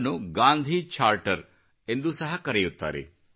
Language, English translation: Kannada, This is also known as the Gandhi Charter